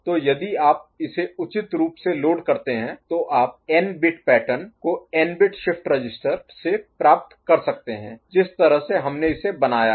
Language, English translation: Hindi, So, if you appropriately load it, then you can get n bit pattern out of n bit shift register the way we have configured it